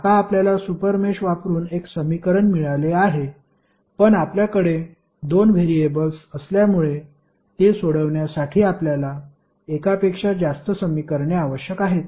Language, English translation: Marathi, Now, you have got one equation using super mesh but since we have two variables we need more than one equation to solve it